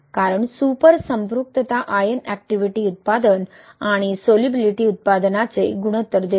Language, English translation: Marathi, Because the super saturation gives the ratio of ion activity product and solubility product